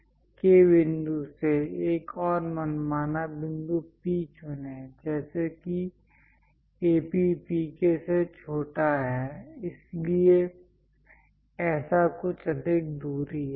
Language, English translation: Hindi, From K point, pick another arbitrary point P such that AP is smaller than PK; so something like this is greater distance